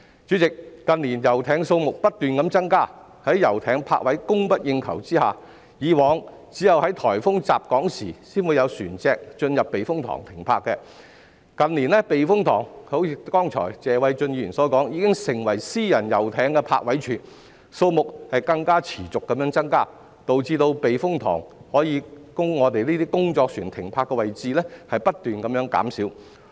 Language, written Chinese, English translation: Cantonese, 主席，近年遊艇數目不斷增加，遊艇泊位供不應求，以往只有在颱風襲港時才會有船隻進入避風塘停泊，但正如剛才謝偉俊議員所說，近年避風塘已經成為私人遊艇的泊位處，數目更持續增加，導致避風塘可供工作船停泊的泊位不斷減少。, President the number of yachts has been growing in recent years but berthing spaces for yachts are in short supply . In the past vessels only berthed at typhoon shelters when a typhoon hit Hong Kong . However as remarked by Mr Paul TSE just now typhoon shelters have become the berthing sites of private yachts in recent years and the number of such yachts has been on the rise thereby leading to the continuous decrease in the number of berthing spaces available for work vessels at typhoon shelters